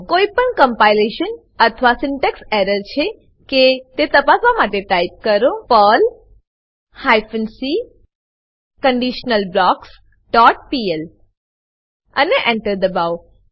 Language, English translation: Gujarati, Type the following to check for any compilation or syntax error perl hyphen c conditionalBlocks dot pl and press Enter